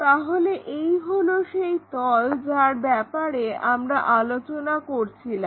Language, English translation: Bengali, So, this is the plane what we are talking about